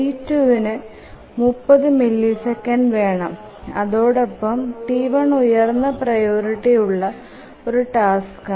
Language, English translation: Malayalam, T2 would need 30 milliseconds and T1 is its higher priority task